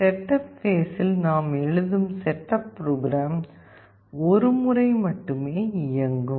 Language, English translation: Tamil, In the setup phase, the setup code here that we write is only run once